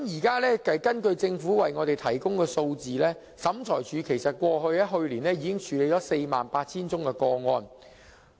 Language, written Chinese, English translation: Cantonese, 根據政府向我們提供的數字，審裁處去年已處理 48,000 宗個案。, Statistics provided by the Government to Members show that SCT already dealt with 48 000 cases last year